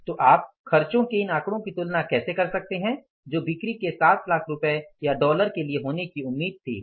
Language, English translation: Hindi, So, how can you compare these figures of the expenses which were expected to be there for the 7 lakh worth of rupees or dollars of the sales